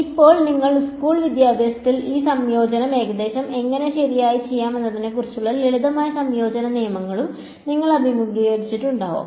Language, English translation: Malayalam, Now, you would have also encountered simple rules of integration in your schooling which are about how to do this integration approximately right